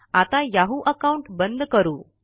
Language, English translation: Marathi, Lets close the yahoo account